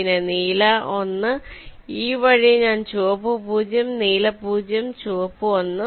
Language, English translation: Malayalam, for blue one, the previous state is red zero, next state is red one